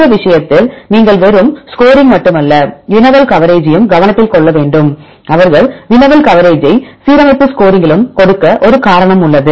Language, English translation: Tamil, In this case, you have to take into consideration not the just score, but also the query coverage; there is a reason why they give the query coverage also in the alignment score